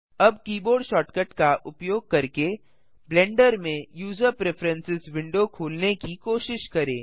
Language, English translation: Hindi, Now try to open the user preferences window in Blender using the keyboard shortcut